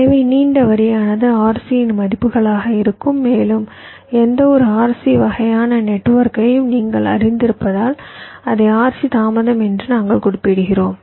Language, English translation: Tamil, so longer the line, longer will be the values of rc and, as you know, for any rc kind of a network we refer to as it as rc delay